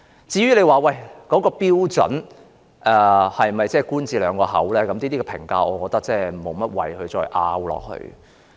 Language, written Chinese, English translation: Cantonese, 至於有關標準是否"官字兩個口"，我認為無謂再作爭論。, I think it is meaningless to argue whether there is a double standard . Chairman let me use a simple example for comparison